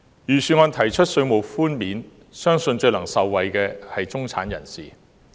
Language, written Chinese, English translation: Cantonese, 預算案提出稅務寬免，相信最能受惠的是中產人士。, The middle class are believed to benefit most from the tax concessions proposed in the Budget